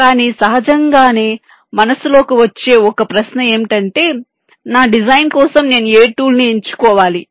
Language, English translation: Telugu, so one question that naturally would come into mind: which tool should i choose for my design